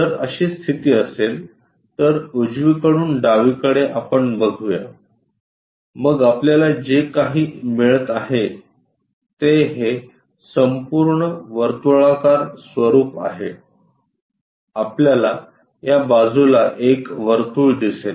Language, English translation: Marathi, If that is the case, then the right side to left side let us visualize, then this entire circular format whatever we are getting that we will see it as circle on this side